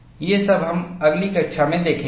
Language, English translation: Hindi, All these, we would see in the next class